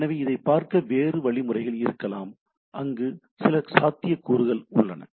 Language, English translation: Tamil, So, there can be other mechanism to look at it, but it there this is possibilities are there